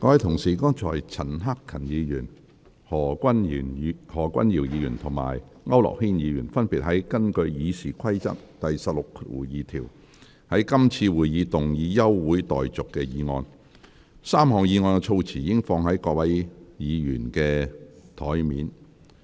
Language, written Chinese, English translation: Cantonese, 各位議員，剛才陳克勤議員、何君堯議員及區諾軒議員分別根據《議事規則》第162條，要求在今次會議動議休會待續議案 ，3 項議案的措辭已放在各位議員的桌上。, 2col35 pm 3col45 pm . Members just now Mr CHAN Hak - kan Mr Junius HO and Mr AU Nok - hin separately request to move motions for the adjournment of the Council in this meeting under Rule 162 of the Rules of Procedure RoP . The wordings of the three motions are now placed on Members desks